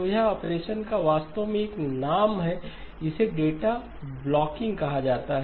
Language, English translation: Hindi, So this operation is actually has a name it is called the blocking of data